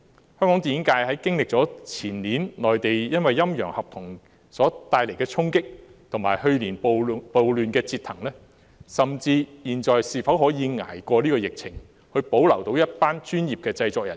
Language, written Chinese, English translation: Cantonese, 香港電影界經歷了前年內地"陰陽合同"帶來的衝擊，以及去年暴亂的折騰，現時是否可以捱過疫情，保留一群專業的製作人員？, The Hong Kong film industry has been impacted by the issue of dual contract on the Mainland the year before and suffered from the riots last year . Now can it tide over the epidemic and retain a group of professional production staff?